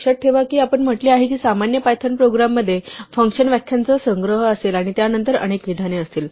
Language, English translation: Marathi, Remember we said that a typical python program will have a collection of function definitions followed by a bunch of statements